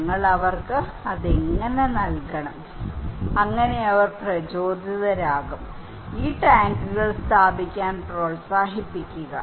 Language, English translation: Malayalam, And how we should provide to them, so that they would be motivated, encourage to install these tanks